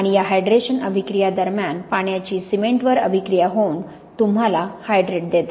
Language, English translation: Marathi, And during this hydration reaction the water reacts with the cement to give you hydrates